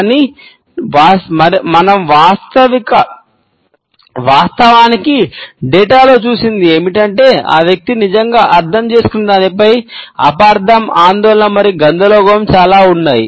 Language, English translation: Telugu, But what we have actually seen in the data, is that there is an immense amount of misunderstanding, anxiety and confusion on what did that person really mean